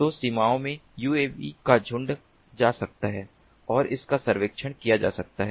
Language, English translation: Hindi, so in the borders the swarm of uavs can go and it can surveyed